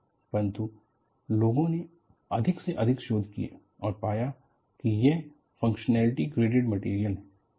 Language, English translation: Hindi, But, more and more, research people have done, it is found to be a functionally greater material